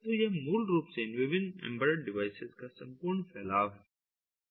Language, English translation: Hindi, so this is basically the entire spend of these different embedded devices